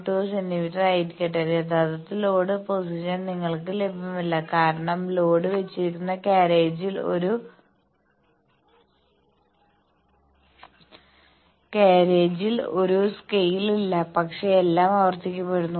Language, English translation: Malayalam, 2 centimeter actually load position is not accessible to you have seen that because, in the carriage where the load is put the scale is not there, but since everything is repeated